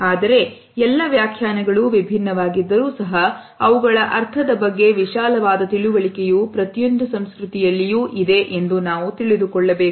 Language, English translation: Kannada, But even though these interpretations are different we find that a broad understanding of their meaning does exist in every culture